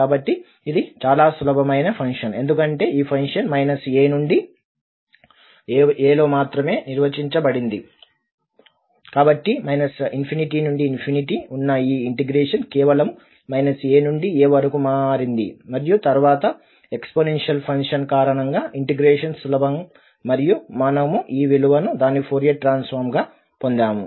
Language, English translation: Telugu, So, this was a very simple function because this function is defined only in this minus a to a, so this integral which is from minus infinity to infinity has become just from minus a to a and then because of the exponential function the integration was easier and we got this value as its Fourier transform